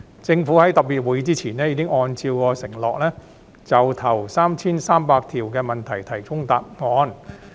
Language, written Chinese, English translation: Cantonese, 政府在特別會議前已按照其承諾，就首 3,300 條問題提供答覆。, The Administration according to the undertaking it made earlier submitted replies to a total of the first 3 300 questions before the special meetings